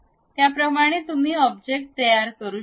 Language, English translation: Marathi, This is the way we can create that object